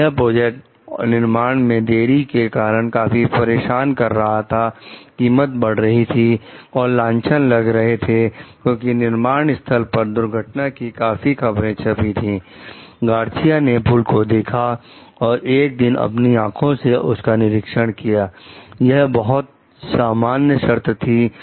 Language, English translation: Hindi, This project has been plagued by construction delays, cost increases and litigation, primarily because of several well published on site accidents